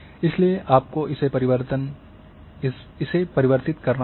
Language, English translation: Hindi, So, you have to convert